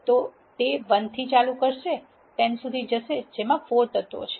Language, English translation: Gujarati, I want to generate a sequence from 1 to 10 which contains the 4 elements